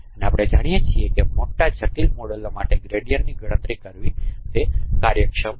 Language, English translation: Gujarati, And we know that it is efficient to compute gradients for big complex models